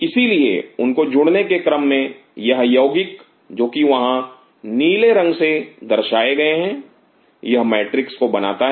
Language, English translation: Hindi, So, in order for them to adhere these compounds which are shown in blue out here this forms a matrix